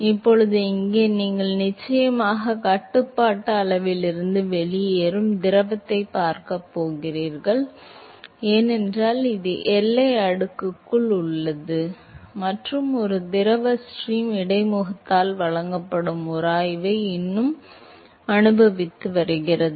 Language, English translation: Tamil, Now, here you definitely going to see fluid which is actually moving out of the control volume right, because now, this is inside the boundary layer and a fluid stream is still experiencing the friction which is offered by the interface